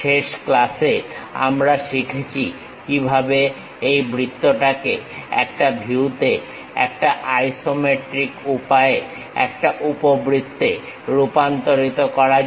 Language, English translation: Bengali, In the last class, we have learnt how to really transform this circle in one view into ellipse in the isometric way